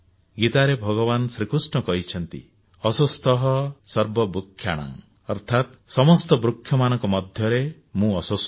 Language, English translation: Odia, In the Gita, Bhagwan Shri Krishna says, 'ashwatth sarvvrikshanam' which means amongst all trees, I am the Peepal Tree